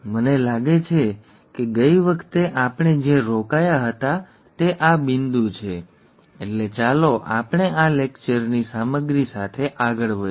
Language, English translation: Gujarati, I think this is where we stopped last time, so let us go further with the lecture material of this lecture